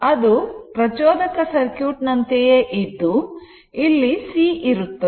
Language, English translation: Kannada, It is same like your inductive circuit, but here it is C